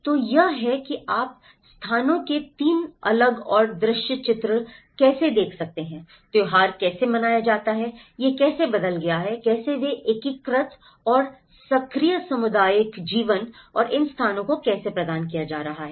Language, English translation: Hindi, So, that is how you can see the 3 different and visual character of places, how the festivals are celebrated, how it have changed, how they have integrated and the active community life and the bonding how these places are providing